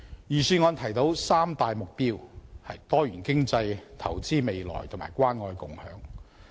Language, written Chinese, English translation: Cantonese, 預算案提出三大目標：多元經濟、投資未來及關愛共享。, The Budget has put forward three main objectives Diversified economy investing for the future and caring and sharing